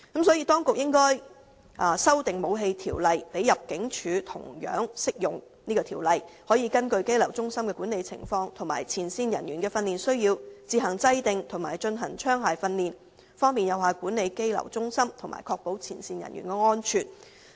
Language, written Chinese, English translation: Cantonese, 因此，當局應修訂《武器條例》，使這項條例同樣適用於入境處，讓入境處可根據羈留中心的管理情況及前線人員的訓練需要，自行制訂和進行槍械訓練，從而有效管理羈留中心，確保前線人員的安全。, The situation is unsatisfactory . For this reason the Weapons Ordinance should be amended to make it also applicable to ImmD so that ImmD can organize and conduct its own firearms training based on the management situations in the detention centres and the training needs of frontline officers with a view to managing the detention centres effectively and ensuring the safety of frontline officers